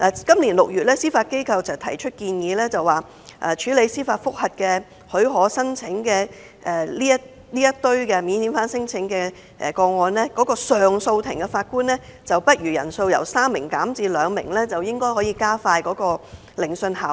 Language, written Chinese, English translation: Cantonese, 今年6月，司法機構建議把處理免遣返聲請申請司法覆核許可個案的上訴庭法官人數，由3名減至2名，以期加快聆訊，提高效率。, In June this year the Judiciary proposed that for cases involving leave for bringing applications for judicial review on non - refoulement claims handled by the Court of Appeal the number of Judges on the Bench would be reduced from three to two to expedite the hearing and enhance efficiency